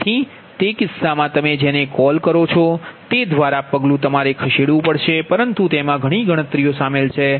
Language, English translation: Gujarati, so in that case, what you call that, just step by step you have to move but lot of computation is involved